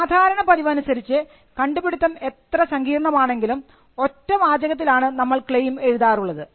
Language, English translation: Malayalam, So, by convention, no matter how complicated, the invention is claims are written in one sentence